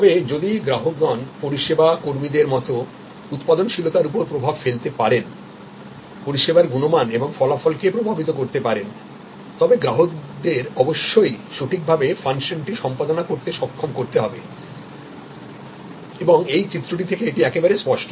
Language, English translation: Bengali, But, if the customers therefore, as service employees can influence the productivity, can influence the service quality and outcome, then customers must be made competent to do the function properly and that is quite clear from our this diagram as we have discussing